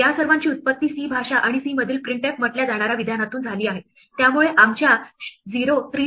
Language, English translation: Marathi, These all have their origin from the language C and the statement called printf in C, so the exact format statements in our 0, 3d and 6